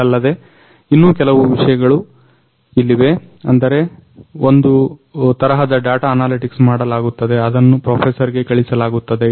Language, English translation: Kannada, So, also there are some other things like some sort of data analytics is performed which will also be give sent to a professor